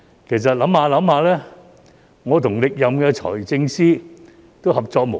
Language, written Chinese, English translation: Cantonese, 其實回想一下，我與歷任財政司司長都合作無間。, Actually in retrospect I will say that my cooperation with the Financial Secretary of various terms has always been seamless